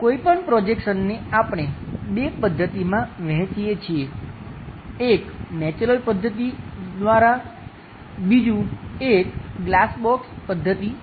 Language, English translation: Gujarati, Any projection, we divide into two methods; one is by natural method, other one is glass box method